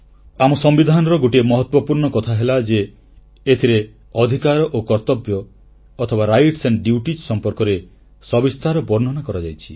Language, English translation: Odia, The unique point in our Constitution is that the rights and duties have been very comprehensively detailed